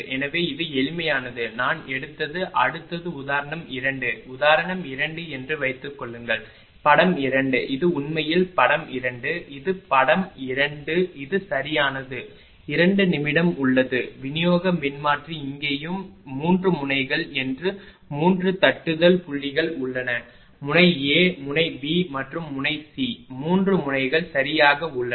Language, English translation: Tamil, So, this is a simple one I took the next one is example 2, suppose in example 2 that figure 2, this is actually figure 2, right this is figure 2 we have a we have a distribution transformer here and here ah ah that ah there are 3 tapping points that is 3 nodes are there node A, node B, and node C, the 3 nodes are there right